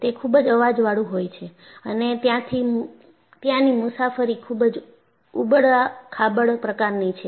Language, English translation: Gujarati, It is very noisy and the ride is also generally bumpy